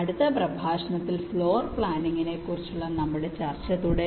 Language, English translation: Malayalam, so we continuing with our discussion on floor planning in the next lecture